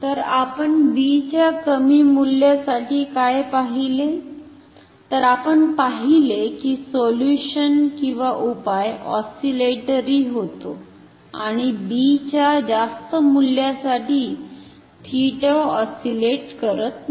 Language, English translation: Marathi, So, what we see observe for low value of theta sorry low value of b, the solution is oscillatory or theta oscillates and for higher b theta does not oscillate